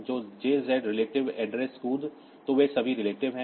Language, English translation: Hindi, So, jz relative address so jump, so they are all relative